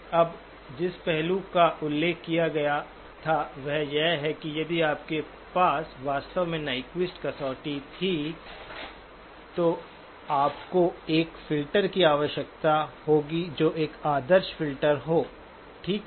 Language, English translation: Hindi, Now the aspect that was mentioned is that if you had exactly Nyquist criterion, then what you will need is a filter which is an ideal filter, okay